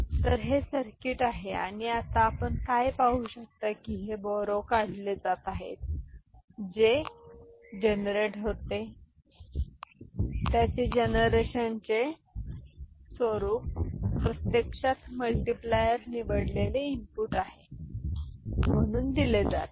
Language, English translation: Marathi, So, this is the circuit right and now what you can see that this borrow out that was getting generated that borrow out, its inverted form is actually getting fed as the select input of the multiplier ok